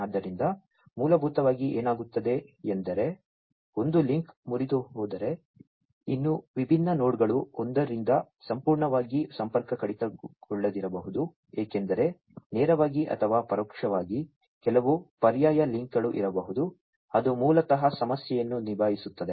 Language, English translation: Kannada, So, basically what happens is if one link has broken, still, then the different nodes may not be completely you know disconnected from one another, because there might be some alternate links directly or indirectly, which will basically handle the problem